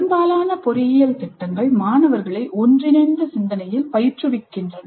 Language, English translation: Tamil, And most of the engineering curricula really train the students in convergent thinking